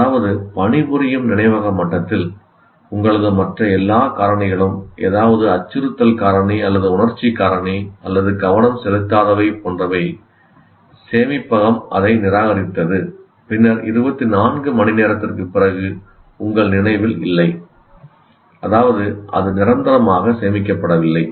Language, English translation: Tamil, That means at the working memory level, all your other factors, either a threat factor or emotional factor or non attention, whatever it is that it has rejected that and then after 24 hours you will not, one doesn't remember